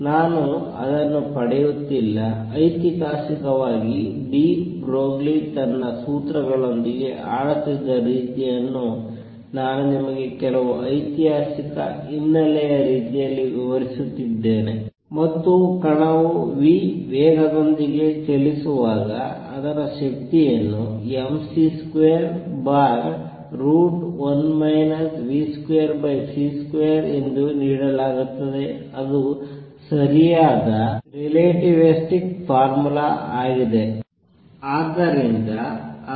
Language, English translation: Kannada, I am not deriving it I am just describing to you some historical background historical the way historically de Broglie was playing with his formulas, and when the particle moves with speed v its energy is given as mc square over square root of 1 minus v square over c square that is the correct relativistic formula